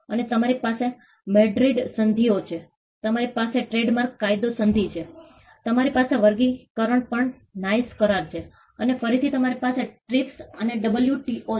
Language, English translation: Gujarati, And you have the MADRID treaties; you have the trademark law treaty; you have the NICE agreement on classification and again you have the TRIPS and the WTO